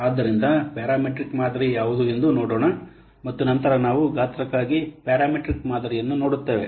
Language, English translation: Kannada, So let's see what is a parameter model and then we'll see the parameter model for size